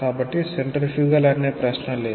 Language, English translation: Telugu, So, no question of centrifugal ok